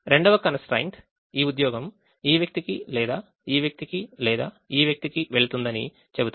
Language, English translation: Telugu, the second constraint will say that this job will go to either this person or this person, or this person or this person